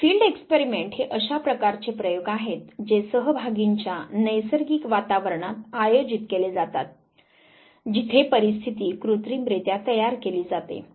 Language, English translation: Marathi, So, field experiment would be those types of experiments which are conducted in natural environment of the participants where situations are artificially created